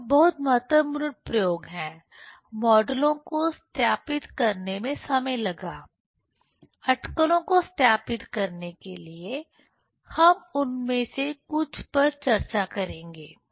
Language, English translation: Hindi, There are very important experiments, that time were used to verify the models, to verify the speculation; we will discuss some of them